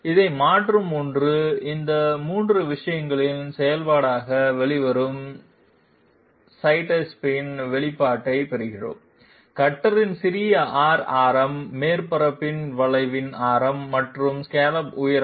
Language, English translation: Tamil, One replace this, we get a get an expression of sidestep which comes out to be a function of these 3 things; small r radius of the cutter, radius of curvature of the surface and scallop height